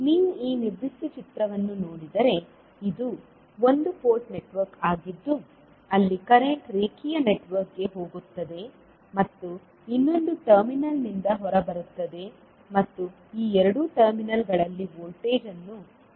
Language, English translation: Kannada, So, if you look at this particular figure, this is one port network where the current goes in to the linear network and comes out from the other terminal and voltage is applied across these two terminals